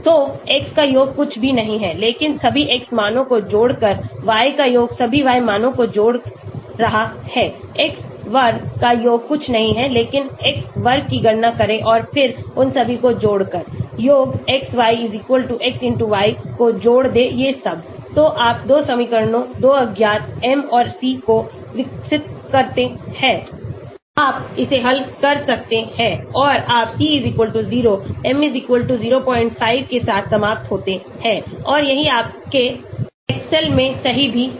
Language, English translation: Hindi, So summation of x is nothing but adding up all the x values, summation of y is adding up all the y values, summation of x square is nothing but calculate x square and then adding all of them, summation xy=x*y then adding all these, so you develop 2 equations, 2 unknowns, m and c, you can solve it and you end up with c=0, m=0